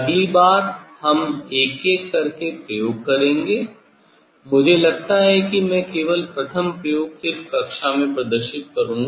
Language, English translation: Hindi, next let us do experiment one by one, I think I will just demonstrate first experiments just in class